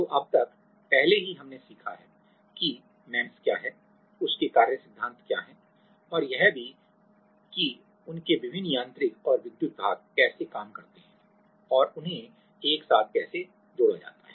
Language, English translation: Hindi, So, till now, in we have already learnt that what are MEMS, how what are their like graph working principle and also like, how different mechanical and electrical parts work and how they are coupled together right